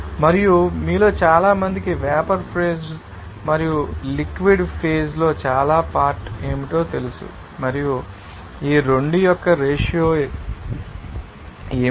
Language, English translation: Telugu, And it is simply that what is the most of you know that component in the vapor phase and most of component in the liquid phase and what is the ratio of these 2